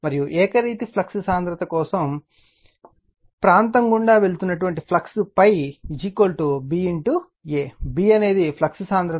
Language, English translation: Telugu, And the flux passing through the area for uniform flux density phi is equal to B into A; B is the flux density